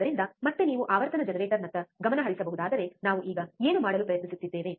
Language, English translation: Kannada, So, again if you can focus back on the frequency generator, what we are now trying to do